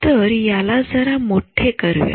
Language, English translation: Marathi, So, just make it bigger